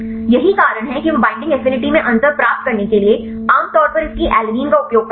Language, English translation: Hindi, That is the reason why they use generally its alanine to get the difference in binding affinity right